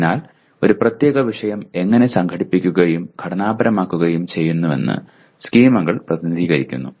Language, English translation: Malayalam, So schemas represent how a particular subject matter is organized and structured